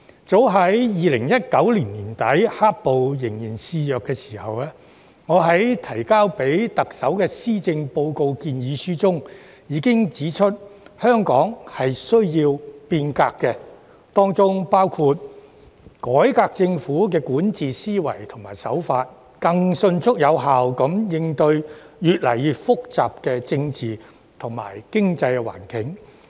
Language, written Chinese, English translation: Cantonese, 早於2019年年底，"黑暴"仍然肆虐的時候，我在提交予特首的施政報告建議書中，已經指出香港需要變革，當中包括改革政府管治思維和手法，以更迅速有效地應對越來越複雜的政治及經濟環境。, At the end of 2019 when black - clad violence was still rampant in my proposal in relation to the Policy Address presented to the Chief Executive I already pointed out that Hong Kong needed to be reformed . This would include reforming the Governments mentality and way of governance with a view to responding to the more and more complicated political and economic environment in a more speedy and effective manner